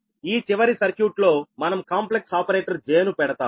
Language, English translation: Telugu, only in this final circuit we will put the j, that complex ah operator, right